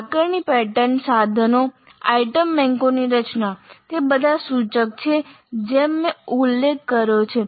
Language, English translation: Gujarati, And the structure of assessment patterns and instruments, item banks, they are all indicative as I mentioned